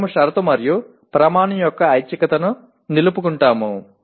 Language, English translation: Telugu, We retain the optionality of condition and criterion